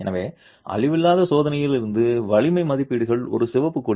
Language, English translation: Tamil, So, strength estimates from non destructive testing is a red flag